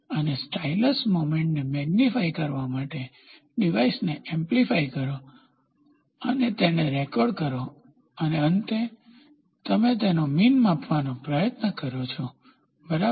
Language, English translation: Gujarati, And amplifying device for magnifying the stylus moment and record it and finally, you try to measure the mean of it, ok